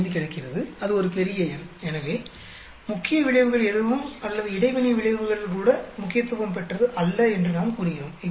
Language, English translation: Tamil, 45, that is a big number so, obviously, we end up saying that none of the main effects or even the interaction effects are significant